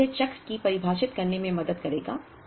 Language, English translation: Hindi, It will help me in defining the cycle